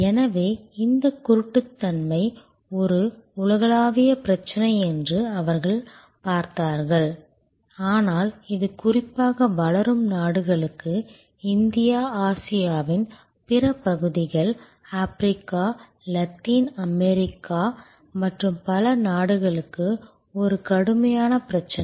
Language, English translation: Tamil, So, they looked at that this problem of blindness is a global problem, but it is particularly an acute problem for the developing world, for countries like India, other parts of Asia, Africa, Latin America and so on